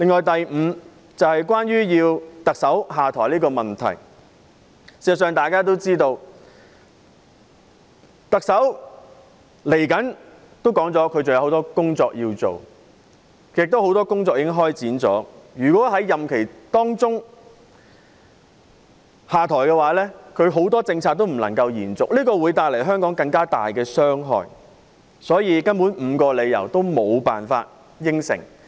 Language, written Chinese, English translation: Cantonese, 第五項訴求是要求特首下台，眾所周知，特首已表示她在不久的將來還有很多工作要做，而很多工作亦已開展，如果在任期內下台，她提出的很多政策便不能夠延續，對香港會帶來更大傷害，所以，該5項訴求根本是無法答應。, As we all know the Chief Executive has said that she has a lot of work to do in the future . Besides since a lot of work has already commenced if the Chief Executive steps down during her tenure the various policies proposed by her cannot sustain thereby bringing more harm to Hong Kong . Thus the five demands really cannot be acceded to